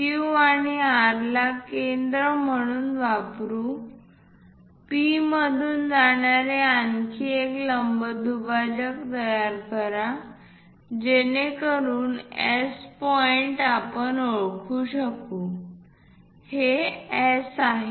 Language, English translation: Marathi, Using Q and R as centers construct one more perpendicular bisector passing through P, so that S point we will be in a position to identify let us call, this is S